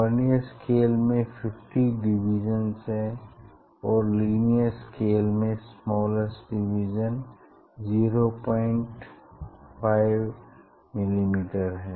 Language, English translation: Hindi, Vernier scale have these 50 division and linear scale it has smallest division is 0